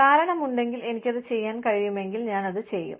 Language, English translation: Malayalam, If the reason is there, and i can do it, i will do it